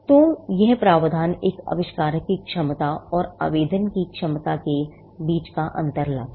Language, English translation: Hindi, So, this provision brings out the distinction between the capacity of an inventor and the capacity of an applicant